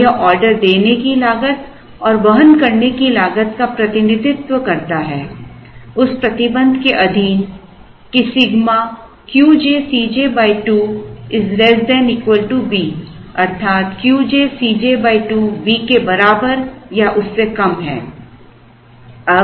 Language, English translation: Hindi, So, this represents the cost of ordering plus cost of carrying subject to the condition that sigma Q j C j by 2 is less than or equal to some B